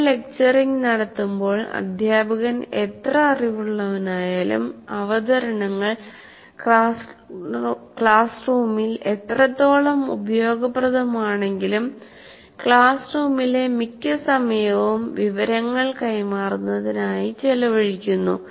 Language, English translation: Malayalam, Because when you lecture, however knowledgeable the teacher is, however much the way of presenting in the classroom is good or bad, most of the time in the classroom is spent in transfer of information one way